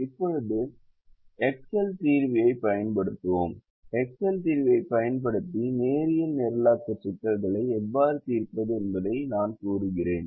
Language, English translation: Tamil, now we will use the excel solver and i will demonstrate how to solve linear programming problems using the excel solver